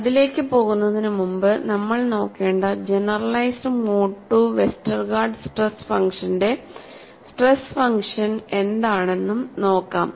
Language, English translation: Malayalam, Before we go into that, let us also look at what is the kind of stress function for the generalized mode 2 Westergaard stress function that we have look at